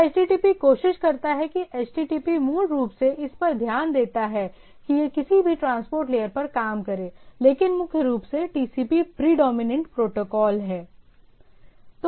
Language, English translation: Hindi, So, that HTTP tries to the HTTP takes care is basically work over this any transport layer but primarily TCP is the predominant protocol